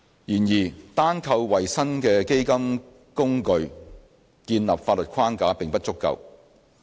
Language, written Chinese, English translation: Cantonese, 然而，單靠為新的基金工具建立法律框架並不足夠。, But having just the legal regime for a new fund vehicle is not sufficient